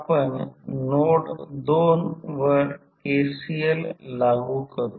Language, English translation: Marathi, We apply KCL at node 2